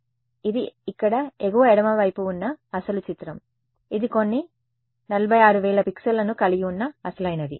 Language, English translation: Telugu, So, this is the original picture over here top left this is the original which has some how many 46000 pixels